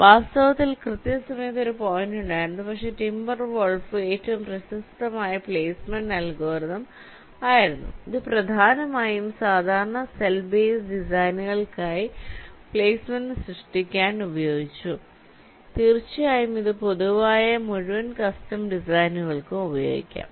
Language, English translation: Malayalam, in fact, there was a pointing time, for timber wolf has the best known placement algorithm and it was mainly used for creating placement for standard cell base designs and of course, it can be used for general full custom designs also